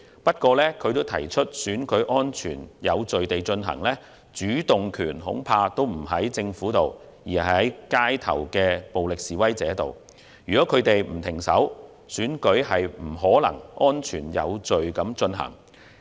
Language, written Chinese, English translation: Cantonese, 不過，他同時提到選舉能否安全有序地進行，主動權恐怕不在政府手上，而是在街頭暴力示威者的手中，如果他們不停手，選舉便不可能安全有序地進行。, However he had also made it clear that when it came to the holding of the election in a safe and orderly manner the Government had no control over the situation which was in the hands of violent demonstrators on the street . It would not be possible to have the election conducted in a safe and orderly manner if they did not stop